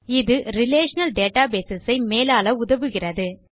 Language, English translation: Tamil, Now this helps us to manage relational databases